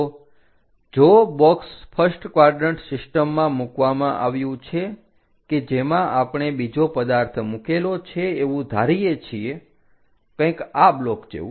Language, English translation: Gujarati, So, if the box is placed at the first quadrant system in which if we are assuming another object is placed; something like this slot block